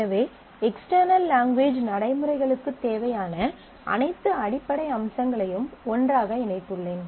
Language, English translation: Tamil, So, I have put together all the basic features that external language routines will need